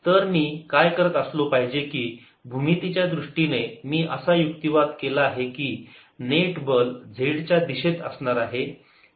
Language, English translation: Marathi, so, geometrically, i have argued that the net force will be in the z direction